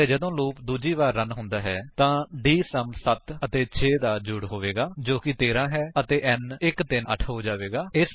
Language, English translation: Punjabi, And when the loop is run for the second time, dSum will be sum of 7 and 6 which is 13 and n will become 138